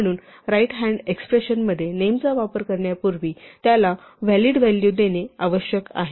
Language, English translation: Marathi, So, before we use a name in an expression on the right hand side it must be assigned a valid value